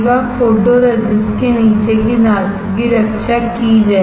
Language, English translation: Hindi, The metal below the photoresist would be protected